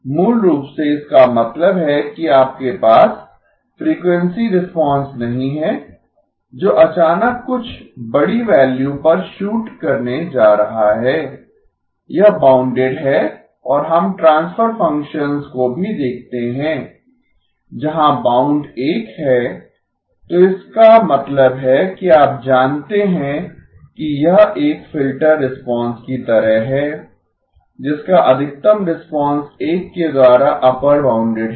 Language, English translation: Hindi, Basically, that means that you do not have the frequency response suddenly shooting to some large value, it is bounded and we also look at transfer functions where the bound is 1, so which means that you know it is like a filter response which maximum response is upper bounded by 1